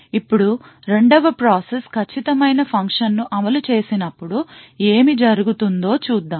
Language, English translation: Telugu, Now let us see what would happen when the 2nd process executes the exact same function